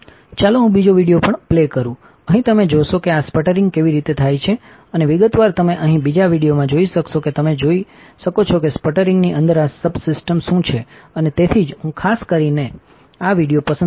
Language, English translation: Gujarati, Let me also play the second video also, here you will see how this sputtering occurs and in detail here you will be able to see in the second video you are able to see that what are the these subsystems within sputtering and that is why I particularly have selected this video